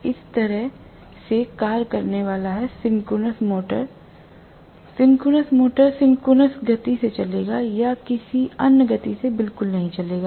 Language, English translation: Hindi, That is the way it is going to function, the synchronous motor will run at synchronous speed or will not run at all at any other speed